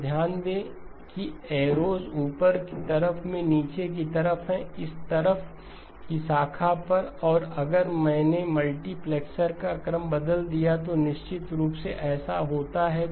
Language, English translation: Hindi, So notice that the arrows are downward on the upper, on the branch on this side and if I changed the order of the multiplexer, of course this happens